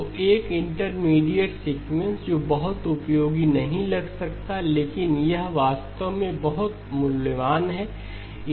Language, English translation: Hindi, So there is an intermediate sequence which may not seem like very useful but it actually turns out to be very, very valuable